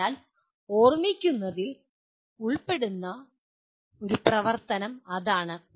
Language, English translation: Malayalam, So that is the activity that is involved in remembering